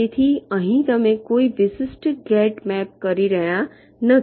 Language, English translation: Gujarati, so here you are not mapping of particular gate like